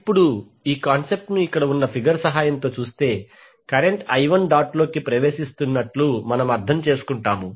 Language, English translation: Telugu, Now let us understand this particular concept with the help of this figure here if you see the current I1 is entering the dot